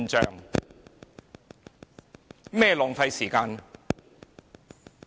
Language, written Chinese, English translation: Cantonese, 甚麼是浪費時間？, What is meant by squandering time?